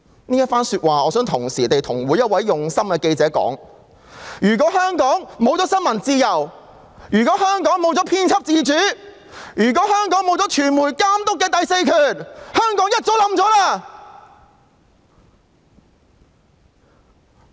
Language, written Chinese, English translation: Cantonese, 我想向每一位用心的記者說：假如香港沒有新聞自由，假如香港沒有編輯自主，假如香港沒有傳媒監督的第四權，香港便早已淪陷了！, I would like to say to each and every dedicated reporter Hong Kong would have already fallen if not for the freedom of the press editorial independence and the monitoring power by the fourth estate !